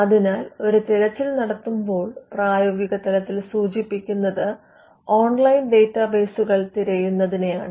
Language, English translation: Malayalam, So, in practice when a search is being done we are referring to searching online databases